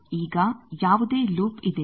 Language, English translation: Kannada, Now is there any loop